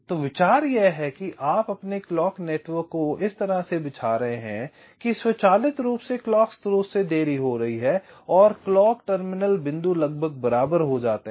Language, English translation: Hindi, so the idea is that you are laying out your clock network in such a way that automatically the delay from the clock source and the clock terminal points become approximately equal